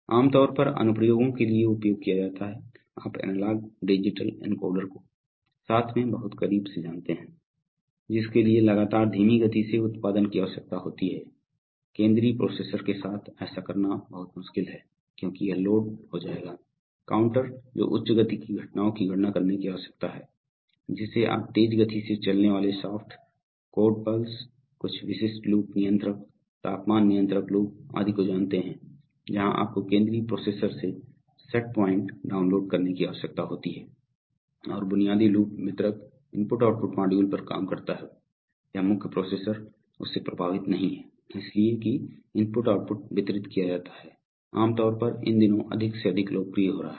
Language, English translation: Hindi, So typically used for applications like, you know very close positioning with analog digital encoders which requires frequent sampling frequent slow output generation, very difficult to do it with the central processor because it will get loaded, high speed counters which needs to count high speed events like, you know fast moving shaft, angle pulses, some specific loop controllers temperature control loop etc where you just need to download the set points from the central processor and the basic loop works on the distributor I/O module